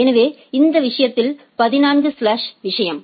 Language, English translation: Tamil, So, in this case that slash 14 is the thing